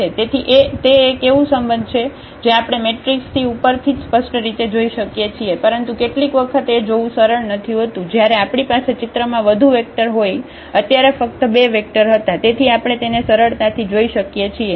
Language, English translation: Gujarati, So, that is a relation which we can clearly see from directly from the matrix itself because, but sometimes it is not easy to see when we have more vectors into picture here there were two vectors only, so we can see easily